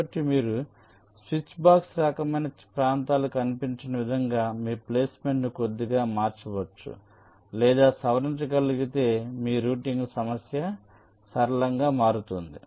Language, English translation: Telugu, so if you can change or modify your placement and little bit in such a way that such switchbox kind of regions do not appear, then your routing problem can become simpler